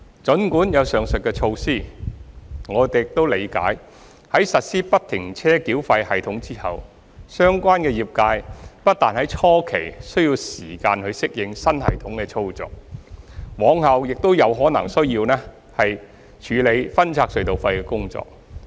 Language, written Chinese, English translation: Cantonese, 儘管有上述的措施，我們亦理解在實施不停車繳費系統後，相關業界不但在初期需要時間適應新系統的操作，往後亦可能需要處理分拆隧道費的工作。, Notwithstanding the above mentioned measures we understand that after the implementation of FFTS the relevant trades not only need time to adapt to the operation of the new system at the beginning but may also need to handle the work of toll splitting in the future